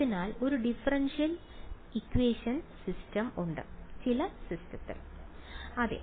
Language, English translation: Malayalam, A differential equation system